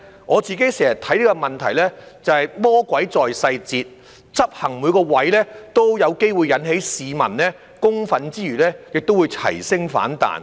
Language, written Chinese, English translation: Cantonese, 我經常看這個問題是魔鬼在細節，執行上每個位均有機會引起市民公憤，更會齊聲反彈。, I have always thought that the devil is in the details . Every aspect of implementation may probably arouse public anger and even unanimous opposition